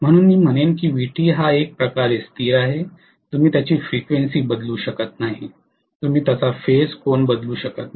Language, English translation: Marathi, So I would say rather Vt is kind of certain stone, you cannot change its frequency, you cannot change its you know phase angle